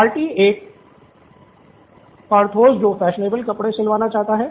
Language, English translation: Hindi, Party 1 Porthos who wants fashionable clothes stitched